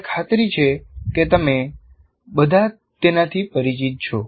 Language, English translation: Gujarati, And I'm sure all of you are familiar with